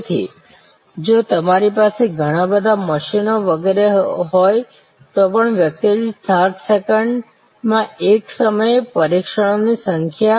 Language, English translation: Gujarati, So, even if you have lot of machines etc doing number of tests at a time 60 second per person